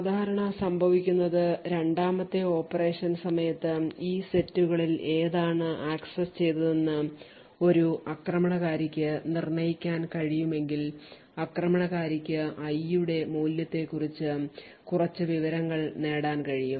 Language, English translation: Malayalam, So, what typically would happen is that if an attacker is able to determine which of these sets has been accessed during the second operation the attacker would then be able to gain some information about the value of i